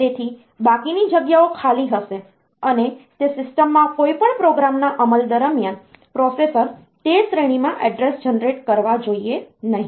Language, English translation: Gujarati, So, remaining spaces will be empty, and processor should not generate addresses in that range during execution of any program in that system